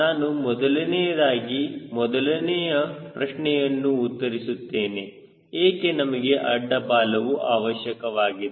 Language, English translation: Kannada, the first question i am addressing first: why do you need a horizontal tail